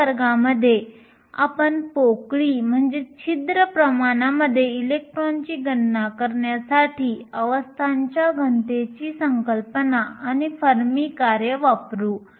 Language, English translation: Marathi, In the next class, we will use these concept of density of states and the fermi functions in order to calculate the electron in hole concentration